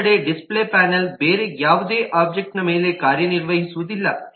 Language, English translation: Kannada, the display panel, on the other hand, does not operate on any other object